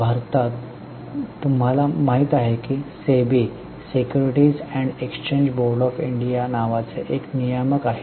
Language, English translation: Marathi, Because regulators, government, in India, you know there is a regulator called SEB, Secureties and Exchange Board of India